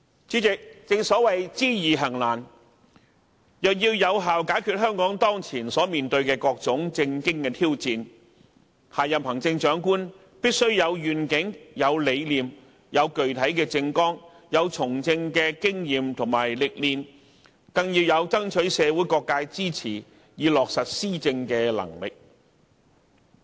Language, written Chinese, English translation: Cantonese, 主席，正所謂知易行難，若要有效解決香港當前所面對的各種政經挑戰，下任行政長官必須有願景、有理念、有具體的政綱、有從政的經驗及歷練，更要有爭取社會各界支持以落實施政的能力。, President it is always easier said than done . To effectively tackle the various socio - political challenges facing Hong Kong at the moment the next Chief Executive must have vision conviction a concrete political platform political experience and exposure and above all else the ability to secure support from all quarters of community for the implementation of government policies